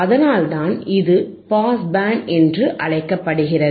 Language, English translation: Tamil, That is why it is called pass band